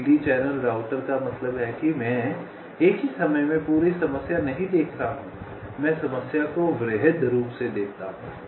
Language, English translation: Hindi, greedy channel router means i am not looking at the whole problem at the same time